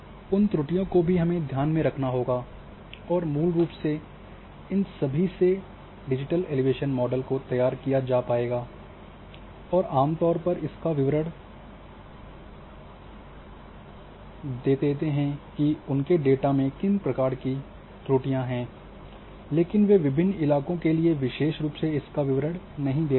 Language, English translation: Hindi, So, those errors should also be kept in mind, and basically those will produces all these digital elevation models generally they declare that what kind of errors their data is suffering from, but they don’t declare a specifically for different terrains